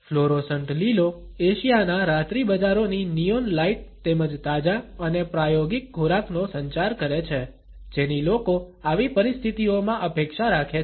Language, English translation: Gujarati, The fluorescent green communicates the neon lights of Asia’s night markets as well as the fresh and experimental food which people expect in such situations